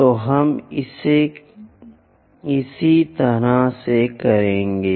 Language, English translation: Hindi, So, we will do it in this same way